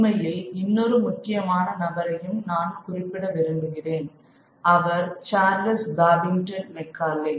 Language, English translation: Tamil, In fact, I would like to mention one more important individual and that is Charles Babington, Macaulay